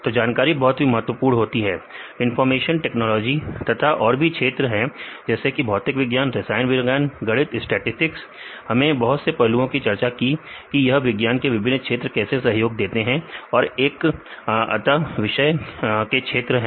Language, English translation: Hindi, So, that information is very important, information technology plays a major role as well as other disciplines, like physics, chemistry and mathematics, statistics we discussed about all the aspects how the different fields of science contribute to interdisciplinary area